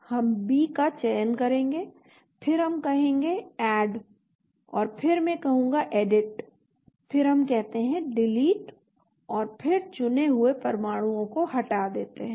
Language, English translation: Hindi, So we will select B then we say Add and then I will say Edit then we say Delete and then delete the selected atoms,